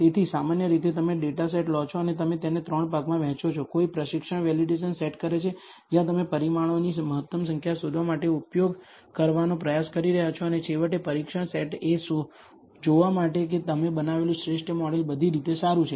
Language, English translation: Gujarati, So, typically you take the data set and you divide it into three parts, one the training set the validation set where you are trying to use for finding the optimal number of parameters and finally, the test set for to see whether the optimal model you have built is good enough